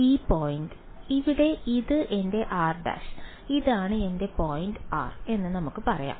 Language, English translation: Malayalam, So, this is this point over here this is my r prime and let us say this is my point r